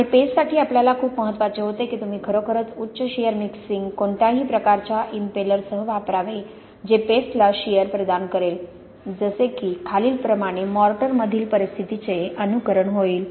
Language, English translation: Marathi, And for paste we had very important that you really use a kind of high shear mixing with some kind of impeller which will impart shear to the paste such as down here to simulate the conditions in the mortar